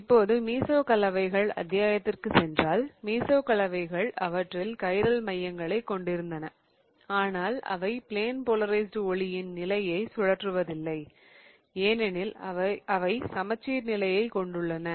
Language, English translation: Tamil, Now if we go back back to our chapter, we looked at meso compounds and meso compounds were the ones that have chiral centers in them, but they do not rotate the plane of plane polarized light because they also have a plane of symmetry